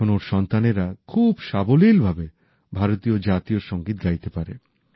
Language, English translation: Bengali, Today, his children sing the national anthem of India with great ease